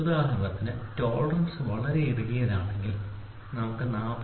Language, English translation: Malayalam, Suppose if the tolerance is very tight for example, let us try to see an example of 40